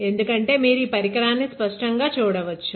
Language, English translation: Telugu, It is because; so you can see the device very clearly